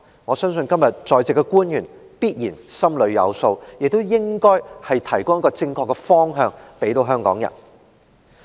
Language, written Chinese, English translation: Cantonese, 我相信今天在席官員必然心裏有數，亦應該提供正確的方向給香港人。, I believe the public officials in attendance today surely know the answer and they should point out the right direction for Hong Kong people